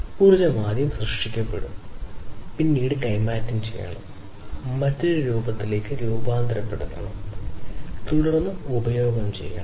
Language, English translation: Malayalam, So, basically the energy has to be first created, the energy is then transferred, transformed into a different form, and then gets consumed